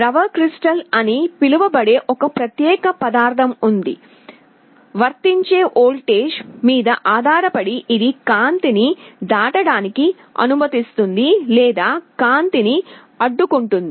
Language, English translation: Telugu, There is a special material that is called liquid crystal; depending on a voltage applied, it either allows light to pass through or it blocks light